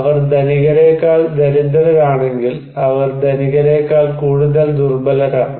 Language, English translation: Malayalam, If they are poor than rich, they are more vulnerable than rich